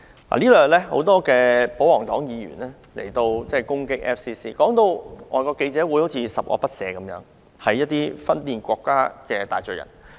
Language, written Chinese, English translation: Cantonese, 過去兩天，多位保皇黨議員攻擊外國記者會，將其說成十惡不赦、分裂國家的大罪人。, Over the past two days some royalist Members attacked FCC as if it was guilty of the unforgiving crime of secession